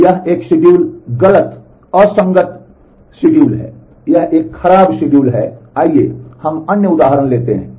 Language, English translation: Hindi, So, this schedule is an incorrect inconsistent schedule, it is a bad schedule, let us take other examples